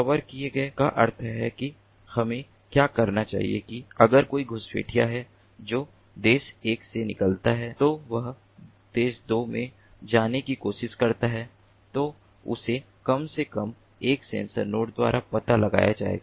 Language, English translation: Hindi, let us say that if there is some intruder that gets into from country one, it tries to get into country two, then it will get detected by at least one sensor node